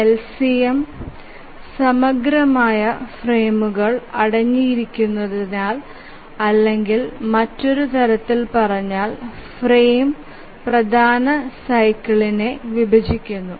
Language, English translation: Malayalam, We said that the LCM contains an integral number of frames or in other words the frame divides the major cycle